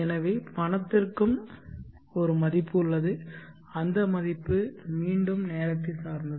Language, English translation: Tamil, So the money is also having a value and that value again is time dependent